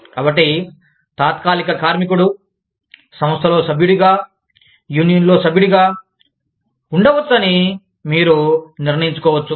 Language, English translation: Telugu, So, you may decide, that a temporary worker, can be a member of the organization, can be a member of the union